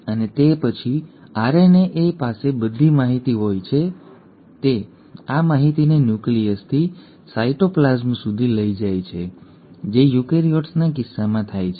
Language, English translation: Gujarati, And then the RNA has all the information it carries this information from the nucleus to the cytoplasm which happens in case of eukaryotes